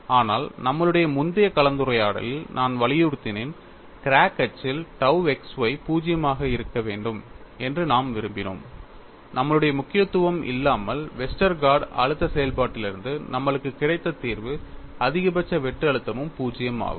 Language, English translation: Tamil, But I had emphasized in our earlier discussion, though we wanted tau xy to be 0 along the crack axis, without our emphasize, the solution what we got from Westergaard stress function was the maximum shear stress was also 0